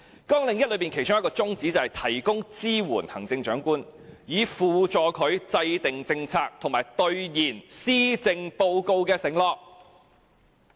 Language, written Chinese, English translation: Cantonese, 綱領1其中一個宗旨是"提供支援予行政長官，以輔助他制定政策和兌現《施政報告》的承諾"。, One of the aims of Programme 1 is to provide support to the Chief Executive in policy formulation and delivery of pledges made in the Policy Address